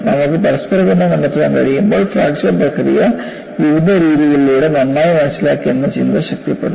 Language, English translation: Malayalam, And when you are able to find out interrelationship, it only reinforces that, the process of fracture has been well understood through various methodologies